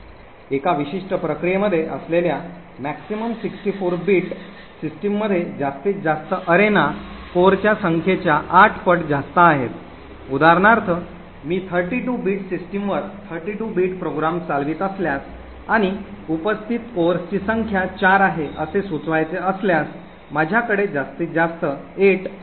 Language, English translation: Marathi, In 64 bit system maximum number of arenas that are present in a particular process is 8 times the number of cores, so for example if I am running a 32 bit program on a 32 bit system and the number of cores present is 4 it would imply that at most I could have 8 different arenas